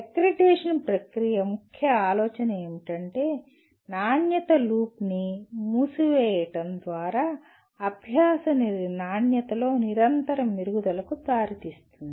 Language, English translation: Telugu, And the accreditation process, the core idea or core facet of that is closing the quality loop can lead to continuous improvement in the quality of learning